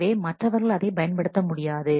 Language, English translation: Tamil, So, others should not use it